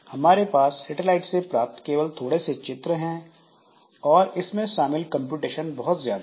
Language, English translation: Hindi, So, we have got only a few images from the satellite but after that the computation that is involved is very high